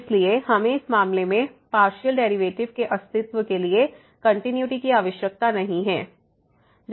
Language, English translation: Hindi, So, we do not need continuity to for the existence of partial derivative in this case